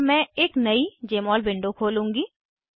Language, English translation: Hindi, So, I will open a new Jmol window